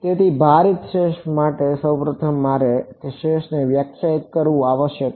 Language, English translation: Gujarati, So, first of all for weighted residual I must define the residual